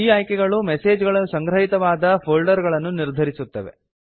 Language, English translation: Kannada, These options determine the folder in which the messages are archived